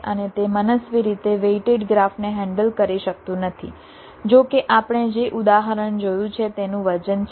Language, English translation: Gujarati, and it cannot handle arbitrarily weighted graph, although the example that we have seen has weight